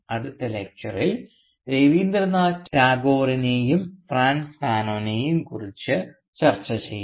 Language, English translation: Malayalam, And in our next Lecture we will discuss Rabindranath Tagore and Frantz Fanon